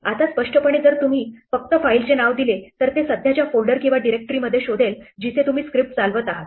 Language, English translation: Marathi, Now implicitly, if you just give a file name it will look for it in the current folder or directory where you running the script